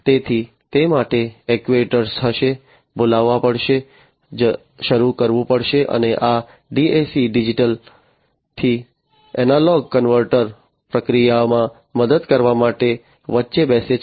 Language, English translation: Gujarati, So, for that the actuators will be, you know, will have to be invoked, will have to be started and this DAC Digital to Analog Converter sits in between to help in the process